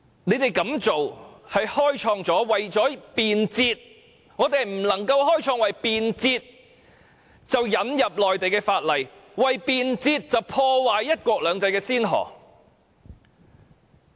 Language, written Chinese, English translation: Cantonese, 然而，我們絕對不能夠為了便捷，開創引入內地法例及破壞"一國兩制"的先河。, Notwithstanding that we should definitely not set the precedent of introducing Mainland laws and ruining one country two systems merely for the sake of convenience